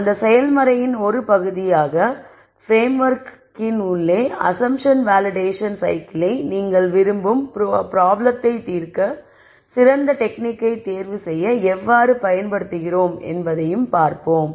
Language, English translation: Tamil, And as part of that process, we will also see how we use this assumption validation cycle within the framework to be able to choose the best technique to solve the problem that you are interested in